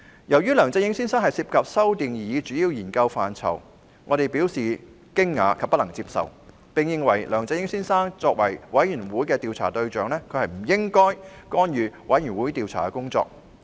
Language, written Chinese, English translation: Cantonese, 由於梁振英先生涉及修訂擬議主要研究範疇，我們表示驚訝及不能接受，並認為梁振英先生作為專責委員會的調查對象，不應干預專責委員會的工作。, We expressed alarm and found it unacceptable that Mr LEUNG Chun - ying had been involved in proposing amendments to the major areas of study . We considered it inappropriate for Mr LEUNG Chun - ying the subject of investigation by the Select Committee to interfere with the work of the Select Committee